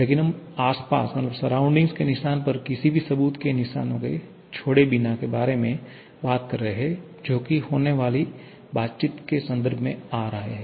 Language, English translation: Hindi, But we are talking about without leaving any trace of proof on the surrounding or mark on the surrounding that will be coming in terms of whatever interactions that are taking place